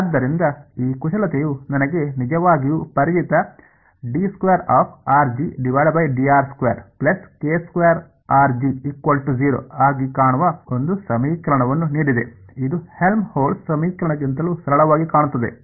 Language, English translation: Kannada, So, this manipulation has given me a equation that looks actually very familiar, what is this look like yeah even simpler than Helmholtz equation